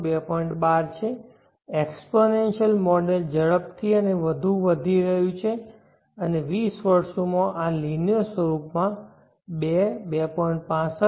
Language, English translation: Gujarati, 12, the exponential model is increasing faster and much more, and in 20 years this is going linear fashion to 2